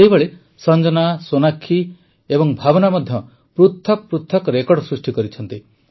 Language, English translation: Odia, Similarly, Sanjana, Sonakshi and Bhavna have also made different records